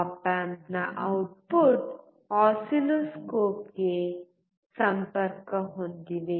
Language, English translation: Kannada, The output of op amp is connected to the oscilloscope